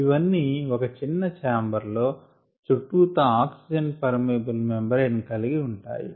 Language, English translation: Telugu, these are all enclosed in a small chamber surrounded by an oxygen permeable membrane